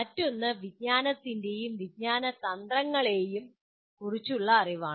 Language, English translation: Malayalam, And the other one is knowledge about cognition and cognitive strategies